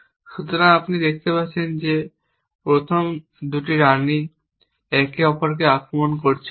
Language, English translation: Bengali, So, we can see that the first 2 queens are not attacking each other